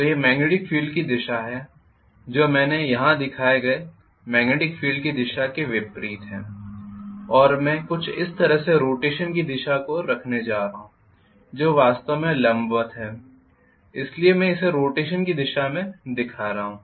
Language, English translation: Hindi, So this is the magnetic field direction which is opposite of the magnetic field direction I have shown here and I am going to look at the direction of rotation somewhat like this, so which is actually perpendicular so I am showing this as the direction of the rotation